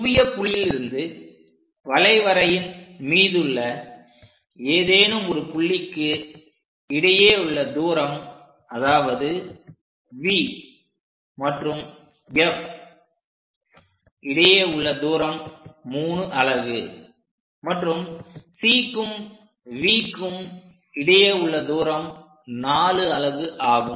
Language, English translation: Tamil, So, focal point to any point on the curve, because if this curve pass through this point B somewhere here the focal point V to F will be 3 units and C to V will be 7 unit4 units